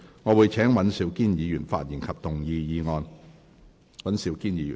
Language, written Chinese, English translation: Cantonese, 我請尹兆堅議員發言及動議議案。, I call upon Mr Andrew WAN to speak and move the motion